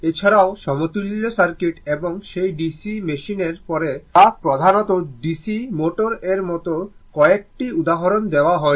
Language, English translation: Bengali, There also, up to equivalent circuit and few examples and after that DC machine that is DC motor mainly, right